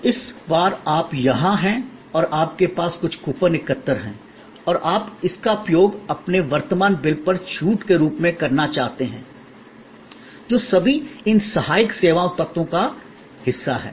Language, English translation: Hindi, So, this time you are here and you have some coupons collected and you want to use that as a discount on your current bill, all those are part of these supporting service elements